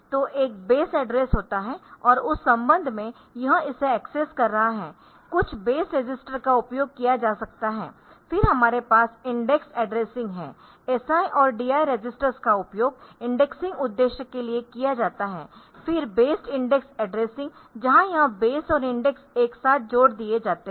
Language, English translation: Hindi, So, there is a base address and with respect to that it will be accessing it some base registers can be used, then we have indexed addressing the SI and DI registers are used for indexing purpose, then based indexed addressing what is base and index